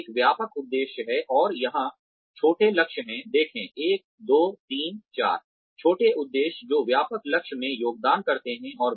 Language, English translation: Hindi, So there is a broad objective and, there are smaller targets here, see, 1, 2, 3, 4, smaller objectives, that contribute to the broader goal